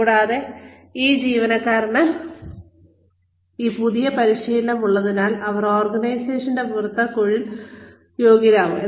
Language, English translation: Malayalam, And, because this employee, has this new set of training, they will become more employable, outside the organization